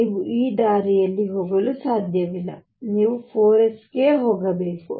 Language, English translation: Kannada, You cannot go this way; you have to go to 4 s